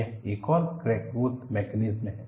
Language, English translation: Hindi, This is another crack growth mechanism